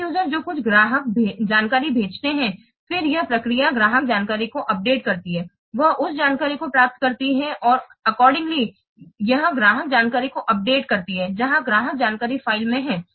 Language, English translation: Hindi, Here see the end user what sends some customer info info, then this process update customer info it receives that information and accordingly it updates the customer info where in the customer info file